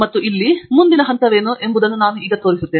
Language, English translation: Kannada, And here, I am just showing you now what’s the next step